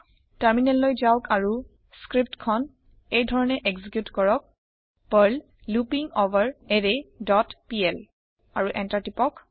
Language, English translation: Assamese, Then switch to the terminal and execute the script as perl loopingOverArray dot pl and press Enter